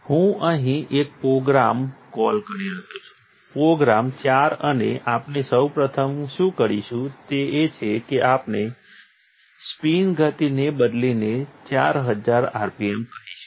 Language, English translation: Gujarati, I am going to call up a program here; program four, and what we will first do is we will change the spin speed to let us say, 4000 rpm